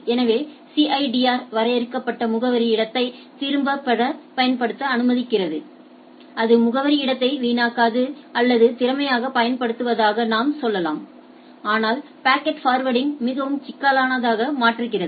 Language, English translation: Tamil, So, CIDR allows efficient use of the limited address space that is absolutely fine the address space is not wasted or I should say efficiently used, but makes the packet forwarding much complicated right